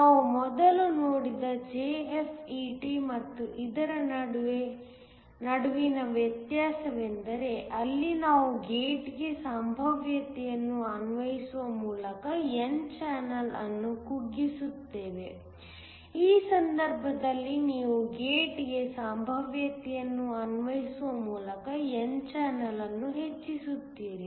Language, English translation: Kannada, The difference between this and the JFET where we saw earlier was, there we would shrink the n channel by applying a potential to the gate in this case you increase the n channel by applying a potential to the gate